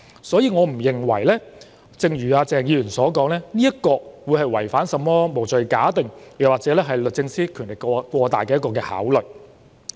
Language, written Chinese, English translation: Cantonese, 所以，對於鄭議員剛才說這做法違反甚麼"無罪推定"原則或律政司司長權力過大，我並不認同。, For this reason I do not agree with Dr CHENGs earlier remarks that the suspension contravenes the presumption of innocence principle or SJ is vested with excessive powers